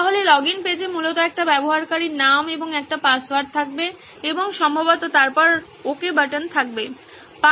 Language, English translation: Bengali, So the login page would essentially have a username and a password right and then ok button probably